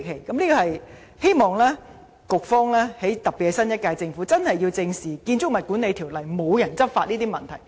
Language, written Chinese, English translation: Cantonese, 我希望局方特別是新一屆政府正視《條例》無人執法的問題。, I hope the Bureau and particularly the new - term Government can address squarely the problem of there being no agency to enforce BMO